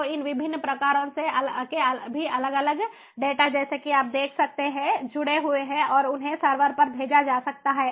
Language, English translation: Hindi, so they all these different data of different types, as you can see, are connected and they are sent to the server